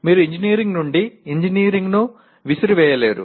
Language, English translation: Telugu, But you cannot throw away engineering from engineering